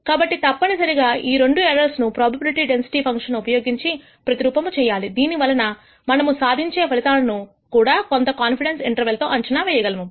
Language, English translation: Telugu, So, inevitably these two errors are modeled using probability density func tions and therefore, the outcomes are also predicted with certain con dence intervals, which we derive